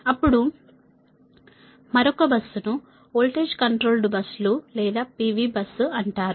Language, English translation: Telugu, then another bus is called voltage controlled buses or p v bus